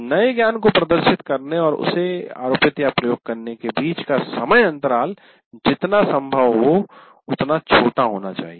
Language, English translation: Hindi, As we said, the time gap between demonstrating new knowledge and applying that should be as small as possible